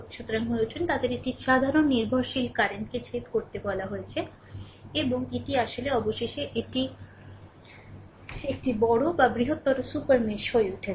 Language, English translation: Bengali, So, become they have a common dependent currents I told you intersect and this actually finally, it is become a bigger or a larger super mesh